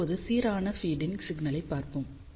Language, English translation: Tamil, Now, let just look at the problem of uniform feed